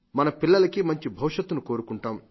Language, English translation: Telugu, We all want a good future for our children